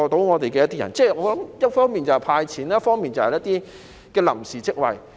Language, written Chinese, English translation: Cantonese, 我認為政府應一方面"派錢"，一方面提供一些臨時職位。, I think the Government should provide cash payouts on the one hand and create temporary jobs on the other